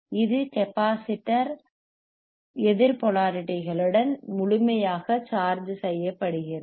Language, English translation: Tamil, So, at the capacitor gets fully charged with the opposite polarities right